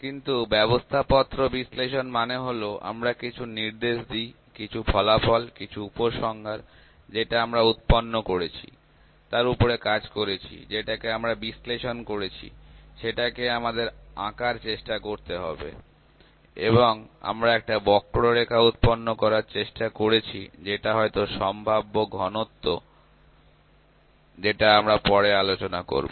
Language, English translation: Bengali, But prescriptive analytics means we give some prescription, some results, some conclusion that the data that we have generated, we have worked on that, we have analyzed it, we have try to plot it and we have tried to generate a curve, a probability maybe probability density curve that we will discuss